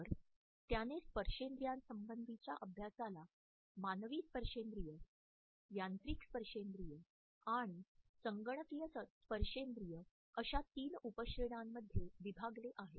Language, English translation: Marathi, So, he has subdivided haptics into three subcategories Human Haptics, Machine Haptics and Computer Haptics